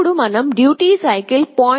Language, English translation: Telugu, Then we make the duty cycle as 0